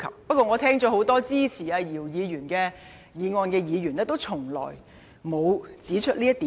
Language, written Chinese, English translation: Cantonese, 不過，我聽罷很多支持姚議員議案的議員，卻沒有任何一人指出這一點。, However after listening to a number of Members speaking in support of Dr YIUs motion I notice that none have highlighted this point